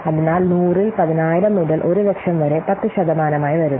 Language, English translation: Malayalam, So 10,000 by 1 lakh into 100 coming to be 10%